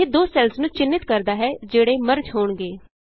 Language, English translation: Punjabi, This highlights the two cells that are to be merged